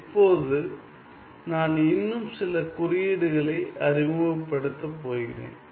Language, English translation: Tamil, Now, I am going to introduce some more notions